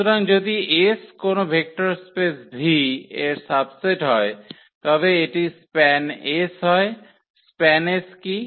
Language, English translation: Bengali, So, if as is a subset of a vector space V then this is span S yes so, what is span S